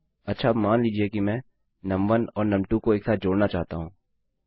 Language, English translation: Hindi, Okay, now, say I want to add num1 and num2 together